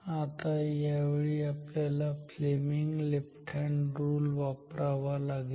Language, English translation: Marathi, Now this time we have to apply the left hand rule of Fleming